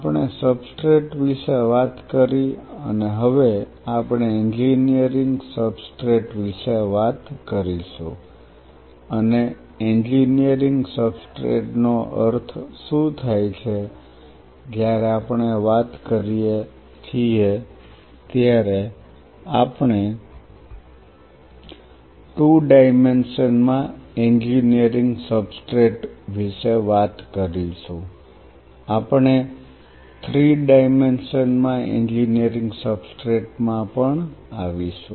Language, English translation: Gujarati, We talked about substrate and now we will talk about Engineering Substrate and what does that mean an Engineering Substrate when we talk about we will talk about Engineering Substrate in 2 Dimension Engineering Substrate in 3 Dimension we will come to this